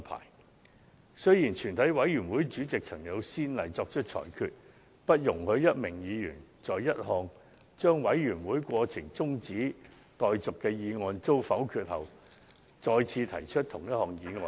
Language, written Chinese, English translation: Cantonese, 可是，以往曾有先例，全體委員會主席作出裁決，不容許一名議員在一項將委員會過程中止待續的議案遭否決後，再次提出同一項議案。, Yet there were precedents in the past where the Chairman of the committee of the whole Council ruled that some Member was not allowed to move the same motion after a motion that the proceedings of the committee of the whole Council be adjourned had been negative